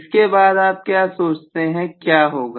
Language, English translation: Hindi, What do you think will happen